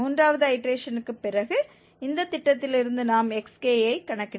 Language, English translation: Tamil, And after third iteration we compute xk from this scheme